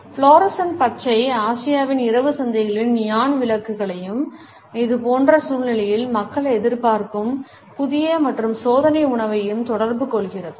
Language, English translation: Tamil, The fluorescent green communicates the neon lights of Asia’s night markets as well as the fresh and experimental food which people expect in such situations